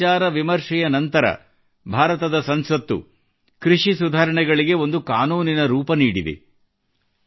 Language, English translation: Kannada, After a lot of deliberation, the Parliament of India gave a legal formto the agricultural reforms